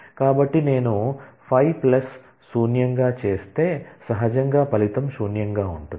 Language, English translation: Telugu, So, if I do 5 plus null then naturally the result is null